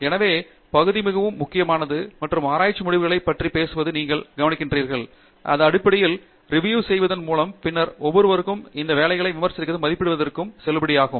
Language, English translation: Tamil, So, that peer part is very important and if you notice the way we go about disseminating the research results, it is basically by peer review and then peers criticizing and validating each of this work and going about